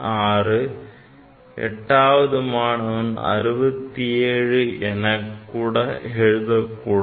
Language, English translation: Tamil, 6, eighth student can write 67 ok